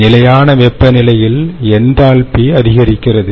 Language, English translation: Tamil, its temperature rises and therefore its enthalpy rises